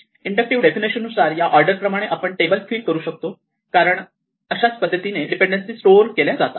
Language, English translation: Marathi, This is the order in which I can fill up this table using this inductive definition because this is the way in which the dependency is stored